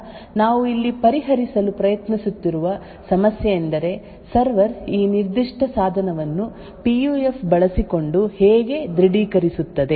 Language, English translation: Kannada, So the problem that we are actually trying to solve here is that how would the server authenticate this particular device using the PUF